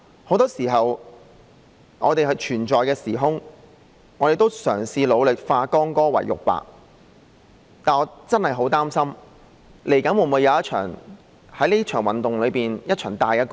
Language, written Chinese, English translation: Cantonese, 很多時候，我們都嘗試努力化干戈為玉帛，但我真的很擔心，這場運動日後會否有一場大干戈呢？, Most of the times we have all tried to put an end to the conflicts and make peace . But I am really very worried if a major battle will await the end of this movement . And we will not be able to make peace